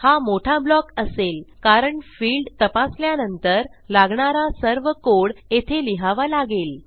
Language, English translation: Marathi, This will be a big block because all the code that I require after I check this will go in here